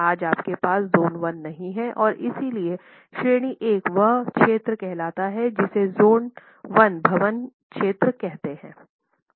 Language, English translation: Hindi, Today you don't have zone 1 and therefore category 1 would lead to what is called a zone 1 building